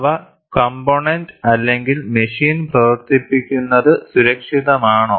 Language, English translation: Malayalam, They are Is it safe to operate the component or machine